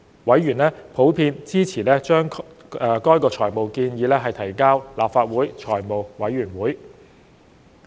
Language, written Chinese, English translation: Cantonese, 委員普遍支持將該財務建議提交立法會財務委員會。, Members were generally in support of the submission of the financial proposal to the Finance Committee of the Legislative Council